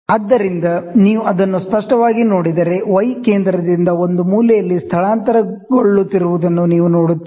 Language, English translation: Kannada, So, if you look at it very clearly, you see the y is getting displaced from the center to a corner